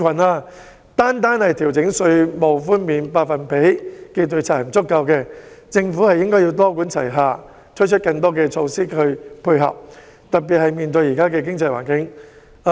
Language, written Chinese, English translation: Cantonese, 但是，單單調整稅務寬減百分比並不足夠，政府應該多管齊下，推出更多配套措施，特別是在現時的經濟環境下。, Nonetheless a mere adjustment in the concession rate is not enough . The Government should adopt a multi - pronged approach and introduce more matching measures particularly in such an economic environment today